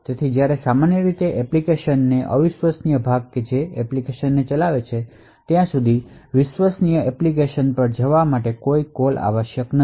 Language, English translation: Gujarati, So, when typically, it would be untrusted part of the application which is executing the application would continue to execute until there is a call required to move to the trusted app